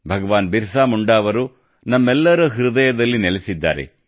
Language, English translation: Kannada, Bhagwan Birsa Munda dwells in the hearts of all of us